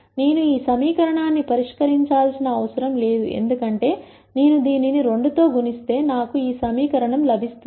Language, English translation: Telugu, I do not have to solve this equation, because I multiply this by 2 I get this equation